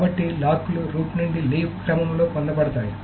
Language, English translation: Telugu, So it is released in the leaf to root order